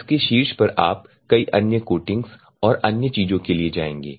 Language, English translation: Hindi, On top of it you will go for many other coatings and other things